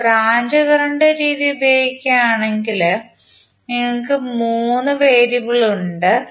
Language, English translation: Malayalam, So here, you have 3 variables if you use branch current method